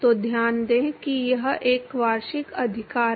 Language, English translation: Hindi, So, note that it is a annulus right